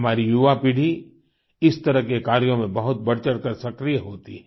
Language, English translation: Hindi, Our young generation takes active part in such initiatives